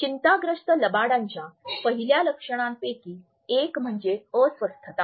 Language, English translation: Marathi, One of the first sign of nervous liar is fidgeting